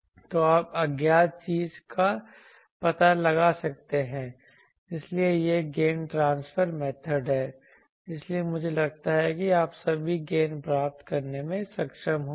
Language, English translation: Hindi, So, you can find out the unknown thing so this is gain transfer method, so I think all of you will be able to measure gain